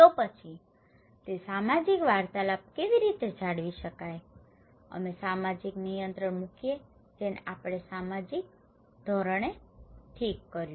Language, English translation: Gujarati, Then so, how to maintain that social interactions, we put social control that we called social norms okay